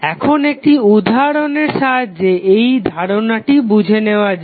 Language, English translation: Bengali, Now, let us understand the concept with the help of one example